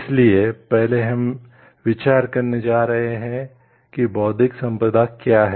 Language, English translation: Hindi, So, first we are going to discuss about what is intellectual property